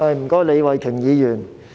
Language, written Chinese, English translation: Cantonese, 多謝，李慧琼議員。, Thank you Ms Starry LEE